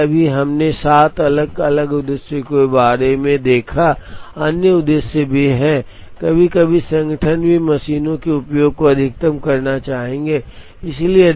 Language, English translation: Hindi, So, right now we have seen about 7 different objectives, there are other objectives, sometimes the organizations would also like to maximize the utilization of machines